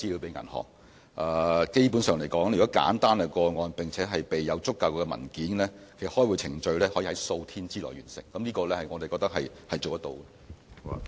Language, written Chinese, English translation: Cantonese, 基本上，如果是簡單的個案，並且備有足夠文件，開戶程序可在數天內完成，我們認為這方面是辦得到的。, Basically for simple cases with sufficient documents the opening process can be completed in a few days . In this regard we think it is achievable